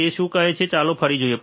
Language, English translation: Gujarati, What it say let us see again